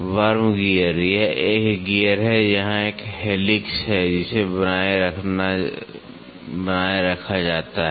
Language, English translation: Hindi, Worm gear; worm gear this is this is a gear and here is a helix which is maintained